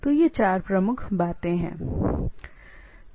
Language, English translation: Hindi, So, these are the four predominant stuff